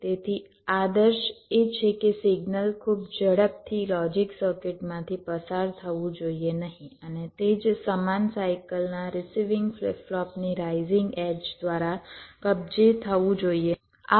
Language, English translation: Gujarati, so the ideal is that signal should not go through the logic circuit too fast and get captured by the rising edge of the receiving flip flop of the same cycle